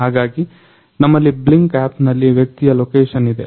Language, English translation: Kannada, So, here we have the location of the person showing on our Blynk app